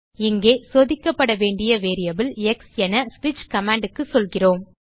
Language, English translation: Tamil, Here, we tell the switch command that the variable to be checked is x